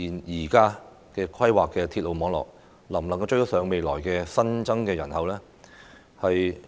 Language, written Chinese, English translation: Cantonese, 現在規劃的鐵路網絡究竟能否應付未來的新增人口呢？, Can the presently planned railway network cope with the increased population in the future?